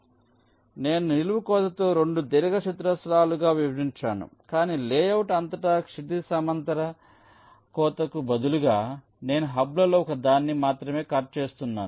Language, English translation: Telugu, so i start with a vertical cut dividing up into two rectangles, but instead of a horizontal cut across the layout, i am cutting only one of the hubs